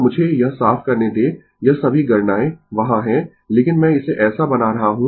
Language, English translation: Hindi, So, let me clear it all this calculations are there, but I am making it such that